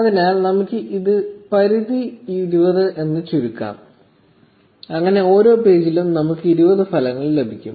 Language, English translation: Malayalam, So, let us reduce this limit to say 20, so that we will get 20 results in each page